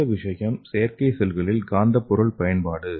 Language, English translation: Tamil, So the next thing is the magnet material in artificial cell